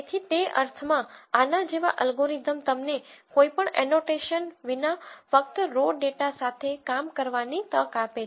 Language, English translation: Gujarati, So, in that sense an algorithm like this allows you to work with just raw data without any annotation